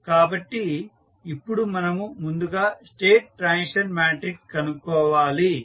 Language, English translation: Telugu, So, now we need to find out first the state transition matrix